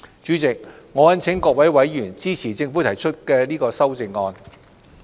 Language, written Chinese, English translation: Cantonese, 主席，我懇請各位委員支持政府提出的修正案。, Chairman I implore Members to support the Governments amendments